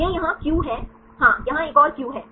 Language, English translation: Hindi, This is Q here, yes, another Q here